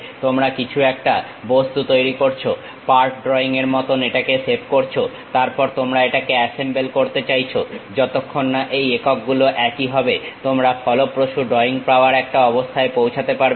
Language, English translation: Bengali, You create something object, save it like part drawing, then you want to really make it assemble unless these units meets you will not be in a position to get effective drawing